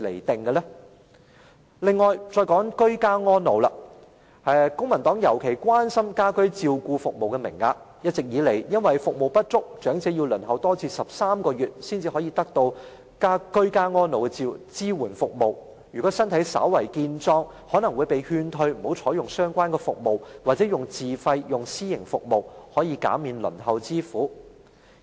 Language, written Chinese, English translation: Cantonese, 此外，我想再談居家安老，公民黨特別關心家居照顧服務的名額，一直以來由於服務不足，長者需要輪候13個月才可得到居家安老的支援服務，如果身體稍為健壯的，更可能會被勸退不要採用相關服務，或改為自費使用私營服務，減免輪候之苦。, The service quotas for ageing in place have been a special concern to the Civic Party . Due to insufficient services elderly persons need to wait for 13 months for support services for ageing in places . If the applicants are relatively healthy they are advised to withdraw their application or change to self - financed private services to save from the pain of waiting